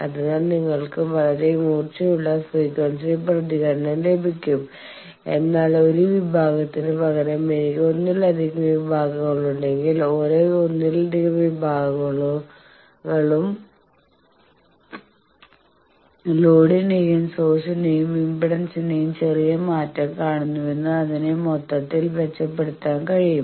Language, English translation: Malayalam, So, you will get a very sharp frequency response, but instead of one section if I have multiple sections then the whole thing can be improved that each multiple section is seeing a smaller change of load and source impedance and then its match will be broadened